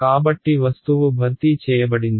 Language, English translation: Telugu, So object is replaced ok